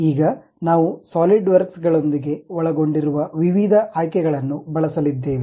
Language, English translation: Kannada, Now, we are going to use variety of options involved with Solidworks